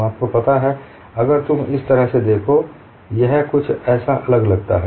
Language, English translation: Hindi, If you look at like this, it looks as if it is something different